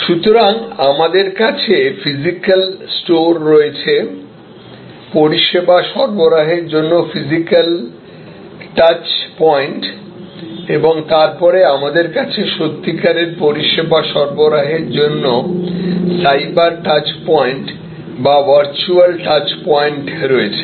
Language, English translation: Bengali, So, we have physical stores, physical touch points for service delivery and then, we have cyber touch points or virtual touch points for actual service delivery